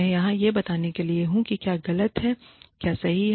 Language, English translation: Hindi, I am not here to tell you, what is right to what is wrong